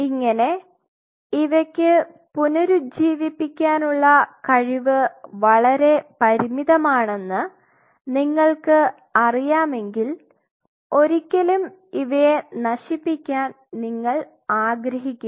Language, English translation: Malayalam, So, if you know it has a limited ability to regenerate you do not want to damage this tissue extensively